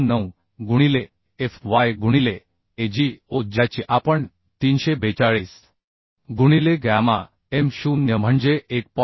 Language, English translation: Marathi, 029 into fy into Ago that we calculated as 342 by gamma m0 that is 1